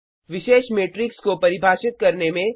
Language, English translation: Hindi, Define special matrices